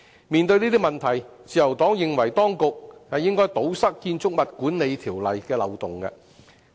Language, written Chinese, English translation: Cantonese, 面對這些問題，自由黨認為當局應該堵塞《建築物管理條例》的漏洞。, In the light of these problems the Liberal Party considers that the authorities should plug the loopholes of the Building Management Ordinance BMO